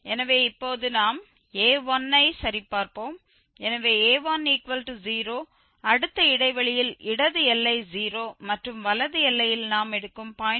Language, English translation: Tamil, So, a1 now we will check a1, so a1 is 0, so a1 we have taken the 0 the next interval the left boundary is 0 and the right boundary we will take 0